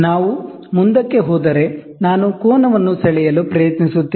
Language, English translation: Kannada, So, when we move, I will try to draw the angle